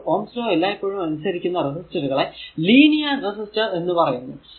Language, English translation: Malayalam, So, a is a resistor that always that obey is Ohm’s law is known as a linear resistor